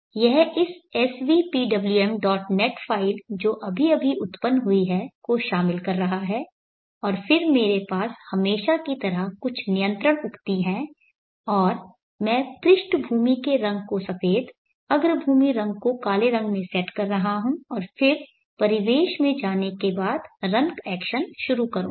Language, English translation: Hindi, NET 5 which got just generated and then I am as usual having some control statements and setting the background color to white and foreground color to black and then initiating the random action once I go into the environment